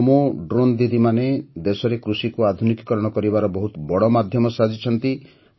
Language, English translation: Odia, This Namo Drone Didi is becoming a great means to modernize agriculture in the country